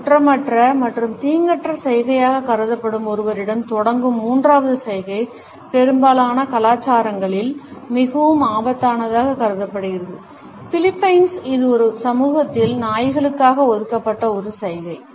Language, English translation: Tamil, The third gesture which is beginning at someone, which is considered to be an innocent and innocuous gesture, in most of the cultures is considered to be highly offensive, in Philippines, this is a gesture which is reserved for dogs in the society